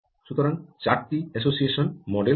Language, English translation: Bengali, so there are four association models